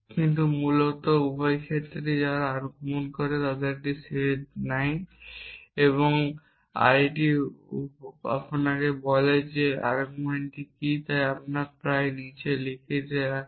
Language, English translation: Bengali, But basically in both the cases they take a set of arguments and the arity tells you what the arguments are so very often we write the arity below